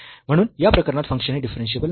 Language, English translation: Marathi, And hence, the function is not differentiable